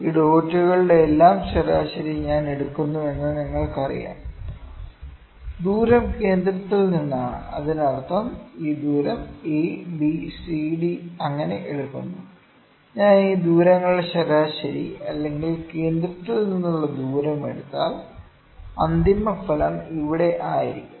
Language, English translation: Malayalam, See the thing is that you know if I take average of all this dots, all this distance is from the centre; that means, a distance is this distance is a b c d so on, if I take average of these distances, or distance from the centre, ok, the final result would be here